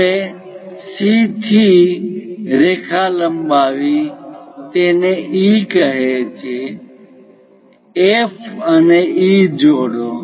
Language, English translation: Gujarati, Now, from C extend a line it goes call this one as E; join F and E